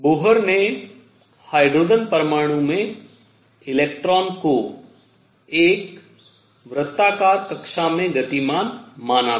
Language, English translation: Hindi, The Bohr had considered electron in a hydrogen atom moving in a circular orbit